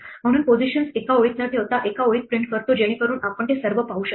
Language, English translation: Marathi, So, we print the positions in a single row rather than row by row, that we can see them all